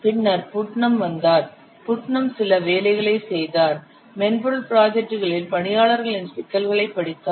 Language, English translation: Tamil, So then Putnam has studied some what the problem of staffing of software projects